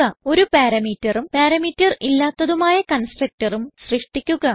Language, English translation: Malayalam, Also create a constructor with 1 and no parameters